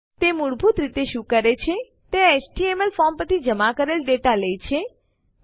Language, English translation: Gujarati, What it basically does is, it takes submitted data from an HTML form